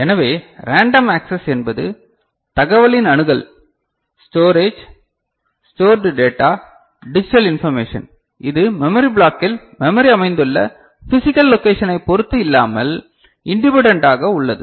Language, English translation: Tamil, So, random access means the access of the information, the storage, stored data, digital information, it is independent of physical position of the memory within the memory block ok